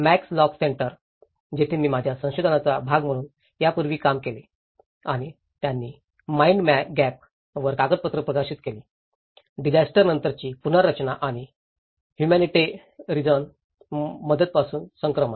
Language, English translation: Marathi, Max lock centre, where I worked earlier as part of my research and they have published a document on mind gap; post disaster reconstruction and the transition from humanitarian relief